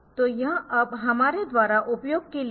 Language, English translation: Hindi, So, it is now for used by us